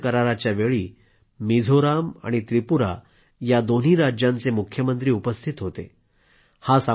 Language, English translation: Marathi, The Chief Ministers of both Mizoram and Tripura were present during the signing of the agreement